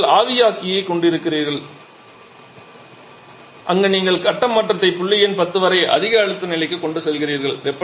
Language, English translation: Tamil, Then we have the evaporator part where you are having the phase change going up to point number 10 much higher pressure level